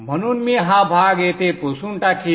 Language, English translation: Marathi, So I will erase this portion here